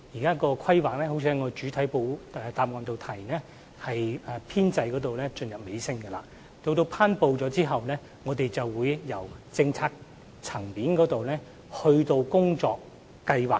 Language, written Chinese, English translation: Cantonese, 正如我在主體答覆中提到，現時《規劃》的編製工作已進入尾聲，在《規劃》頒布後，我們會在政策層面制訂工作計劃。, As I have mentioned in the main reply now the work on drawing up the Development Plan has reached the final stage . After the promulgation of the Development Plan we will devise the work plans at the policy level